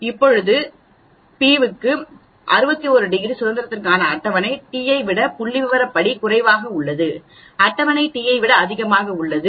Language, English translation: Tamil, Now is this t statistically less than the table t or greater than the table t for 61 degrees of freedom for p 0